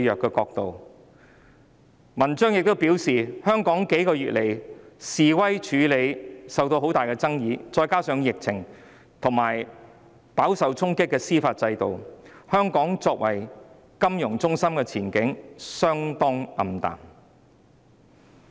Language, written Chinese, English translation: Cantonese, 她在文章中表示，香港在這數個月對示威的處理手法受到很大爭議，再加上疫情，以及司法制度飽受衝擊，香港作為金融中心的前景相當暗淡。, In her article she wrote that Hong Kongs way of handling protests in these several months was highly controversial . Coupled with the epidemic and the judicial system that has come under fire the prospects of Hong Kong as a financial hub were gloomy